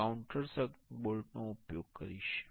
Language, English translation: Gujarati, I will be using a countersunk bolt